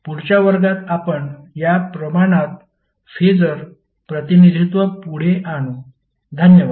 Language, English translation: Marathi, In next class we will carry forward with the phasor representation of these quantities, Thank you